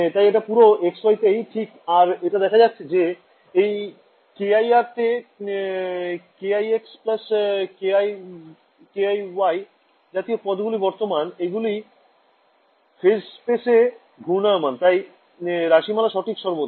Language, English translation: Bengali, So, this should be true at all x,y right, and you notice that this k i dot r this is going to have terms like k i x x plus k i y y and these phasors are rotating in whatever in phase space and this expression should be true always